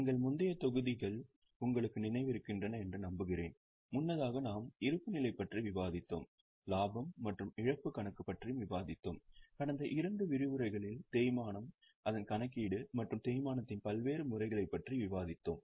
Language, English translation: Tamil, Earlier we have discussed about balance sheet, we have also discussed about profit and loss account and in the last two sessions we have discussed about depreciation, its calculation and various methods of depreciation as well